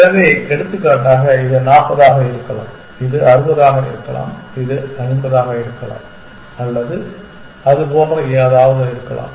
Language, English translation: Tamil, So, for example, this could be 40 this could be 60 and this could be 50 or something like that